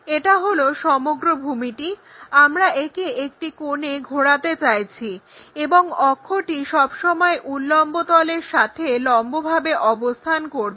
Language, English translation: Bengali, This is entire base we want to rotate it by an angle and axis is always be perpendicular to vertical plane